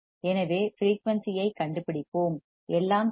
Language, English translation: Tamil, So, let us find the frequency all right